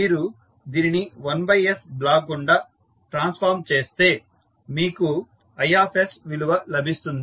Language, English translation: Telugu, Now, when you transform this through 1 by S as a block you get the value of i s here